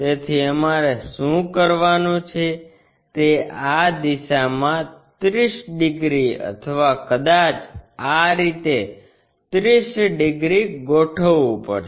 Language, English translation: Gujarati, So, what we have to do is either in this direction 30 degrees or perhaps in this in this way 30 degrees we have to align